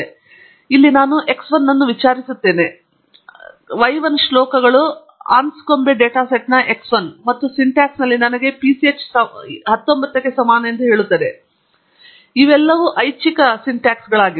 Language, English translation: Kannada, So, here I am plotting x 1, sorry y 1 verses x 1 of the Anscombe data set, and the syntax here tells me PCH equals 19; these are all optional syntaxes